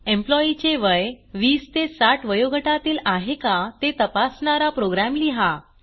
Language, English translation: Marathi, As an assignment, Write a program to check whether the age of the employee is between 20 to 60